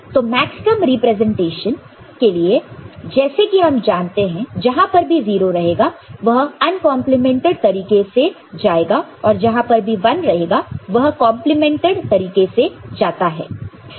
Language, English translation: Hindi, So, 0 for maxterm representation we know, whenever 0 it will be go as uncomplemented and whenever it is one it will go as complemented